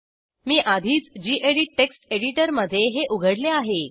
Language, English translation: Marathi, I have already opened this in gedit text editor